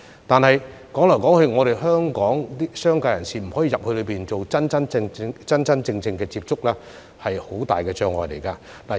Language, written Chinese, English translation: Cantonese, 但是，當香港的商界人士無法返回內地真正接觸客戶，這是很大的障礙。, Yet a big problem facing Hong Kong businessmen is that they cannot visit the Mainland to meet their clients in person